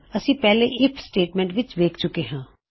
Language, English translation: Punjabi, Weve seen this in the IF statement before